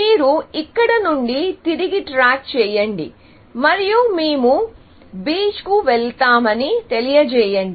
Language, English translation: Telugu, So, you back track from here, and you say, shall we go to the beach